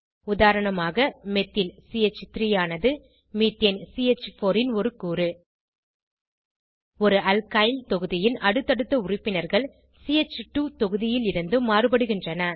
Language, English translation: Tamil, For example: Methyl CH3 is a fragment of Methane CH4 Successive members of an Alkyl group differ by a CH2 group